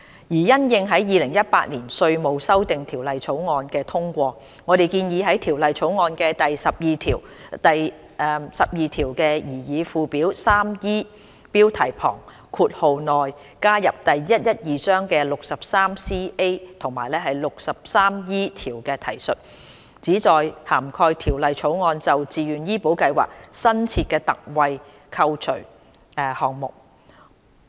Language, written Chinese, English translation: Cantonese, 因應《2018年稅務條例草案》的通過，我們建議在《條例草案》的第12條、第12條的擬議附表 3E 標題旁括號內加入第112章的第 63CA 及 63E 條的提述，旨在涵蓋《條例草案》就自願醫保計劃新設的特惠扣除項目。, In the light of the passage of the Inland Revenue Amendment Bill 2018 we propose to include the references to sections 63CA and 63E of Cap . 112 under clause 12 and in the bracket next to the heading of the proposed Schedule 3E under clause 12 of the Bill to cover the new concessionary deduction in respect of VHIS under the Bill